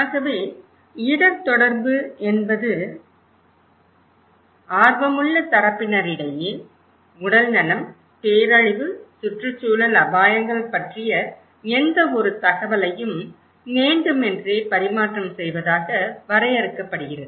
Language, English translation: Tamil, So risk communication is defined as any purposeful exchange of information about health, disaster, environmental risks between interested parties